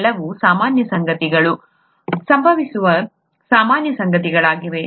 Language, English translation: Kannada, These are all usual things that happen, the normal things that happen